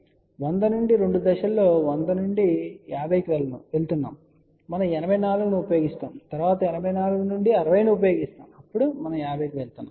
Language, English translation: Telugu, So that means, we are moving from 100 to 50 in two steps from 100, we use 84 and then from 84, we use 60 and then we went to 50 Ohm